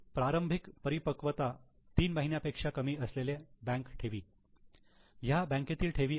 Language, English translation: Marathi, Deposit with bank with less than three months of initial maturity